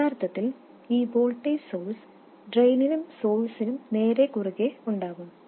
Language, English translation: Malayalam, Originally this voltage source was directly across the drain and source